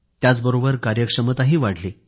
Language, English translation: Marathi, This also helped in improving efficiency